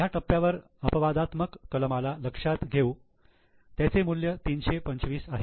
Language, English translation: Marathi, Now, at this stage we consider the exceptional item which is 325